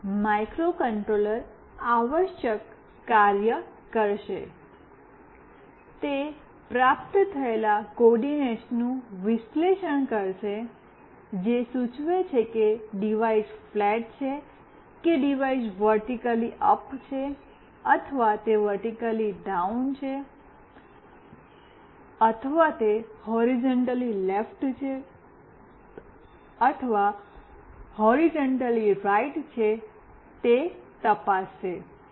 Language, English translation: Gujarati, Then the microcontroller will do the needful, it will analyze to check whether the coordinates received signifies that the device is flat or the device is vertically up or it is vertically down or it is horizontally left or it is horizontally right